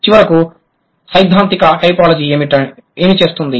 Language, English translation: Telugu, Then finally, what does theoretical typology do